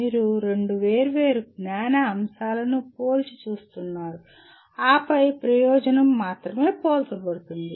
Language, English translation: Telugu, You are comparing two different knowledge elements and then the purpose is only comparing